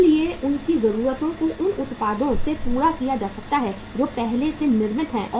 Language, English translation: Hindi, So their needs can be fulfilled from the products which have already been manufactured